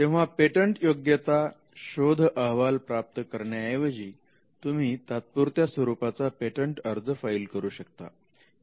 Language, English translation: Marathi, So, you would not then get into a patentability search report you would rather file a provisional